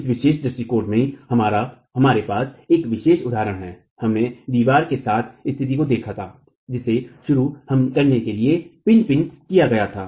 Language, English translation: Hindi, In this particular example we had in this particular approach we had looked at a situation where the wall was pin pinned to begin with